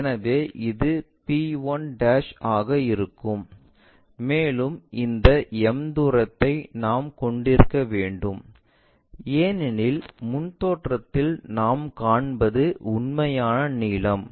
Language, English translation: Tamil, So, it will be p1' and this distance m, we have to maintain because there is a true length what we will see in the frontal view